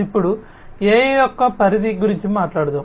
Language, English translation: Telugu, Now, let us talk about the scope of AI